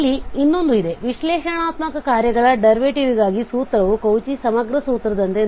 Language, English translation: Kannada, Well, so there is another one, that derivative of analytic function, the derivative of analytic functions the formula is quite similar to what we have seen as a Cauchy integral formula